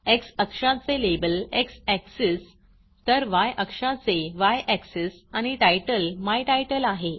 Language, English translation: Marathi, Now you see that the x axis label is X axis , Y axis and the title is My title